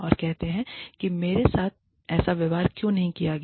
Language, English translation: Hindi, And say, why was i not treated, in such a manner